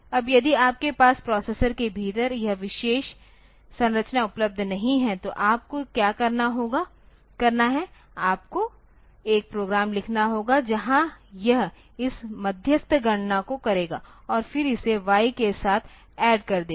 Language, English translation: Hindi, Now, if you do not have this particular structure available in the within the processor then what you have to do is you have to write a program where it will be for doing this intermediary calculations and then it will be adding it with y